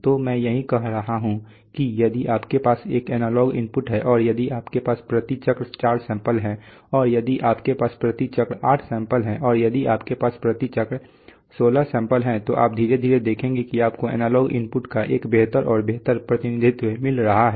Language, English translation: Hindi, So that is what I am saying that if you have an analog input and if you have four samples per cycle and if you have eight samples per cycle and if you have 16 samples per cycle so you see gradually you are getting a better and better representation of the analog input